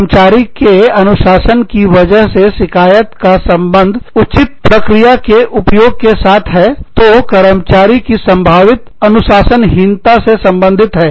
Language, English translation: Hindi, Grievance due to employee discipline, deals with the use of due process, in dealing with, perceived indiscipline of an employee